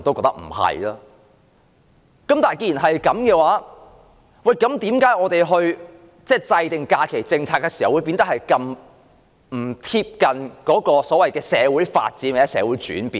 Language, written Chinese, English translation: Cantonese, 但是，既然這樣的話，為甚麼我們制訂假期政策時，不能貼近社會的發展和轉變？, If this is the case why cant our holiday policy keep abreast of our social development and changes?